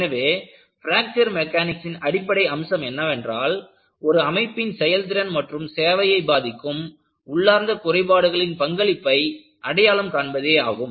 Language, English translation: Tamil, So, the fundamental aspect of Fracture Mechanics is, it recognizes the role of inherent flaws in structures that affect their performance and life